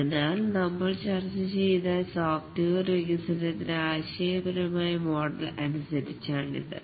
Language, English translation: Malayalam, So this is according to the conceptual model of software development we are discussing